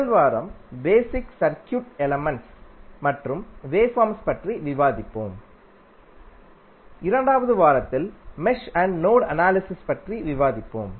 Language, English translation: Tamil, First week, we will go with the basic circuit elements and waveforms and week 2 we will devote on mesh and node analysis